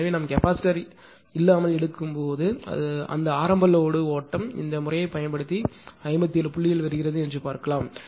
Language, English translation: Tamil, So, when we are ah when we are taking without capacitor ah that that initial load studies that using this method it was coming 57 point something it was coming